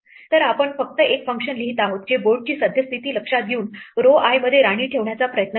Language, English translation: Marathi, So, we are just writing a function which tries to place a queen in row i given the current state of the board